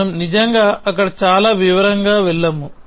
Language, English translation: Telugu, We not really go into too much detail there